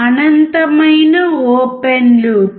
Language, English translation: Telugu, Infinite open loop gate